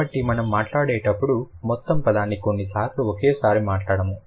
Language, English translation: Telugu, So, when we speak, we don't speak the entire word sometimes at one go